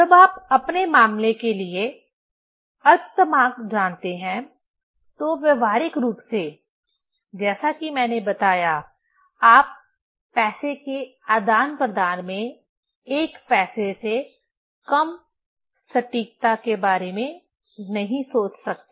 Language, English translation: Hindi, When you know the least count for your case, then practically you cannot, as I told, you cannot think of accuracy less than 1 paisa in exchange of money